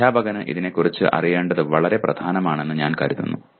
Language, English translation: Malayalam, I consider it is very important for the teacher to know about it